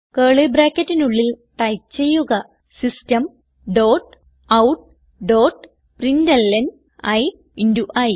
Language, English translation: Malayalam, Inside the curly brackets type System dot out dot println and print i into i